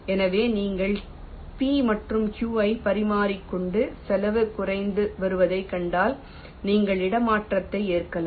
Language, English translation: Tamil, so if you exchange p and q and see that the cost is decreasing, then you can just accept the swap